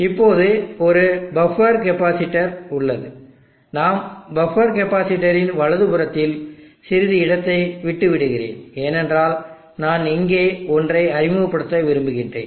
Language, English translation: Tamil, Now there is a buffer capacitor we will put buffer capacitor slightly on this side leaving some space to the right of the buffer capacitor because I want to introduce something here